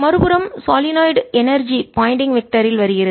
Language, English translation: Tamil, on the other hand, in the solenoid, energy is coming in, the pointing vector comes in